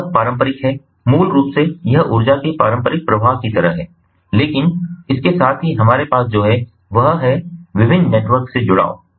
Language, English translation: Hindi, basically, this is more of like a traditional ah flow of energy, but alongside, what we also have is that connectivity to different networks